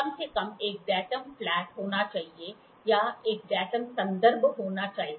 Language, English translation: Hindi, At least one datum one datum should be flat or one datum should be reference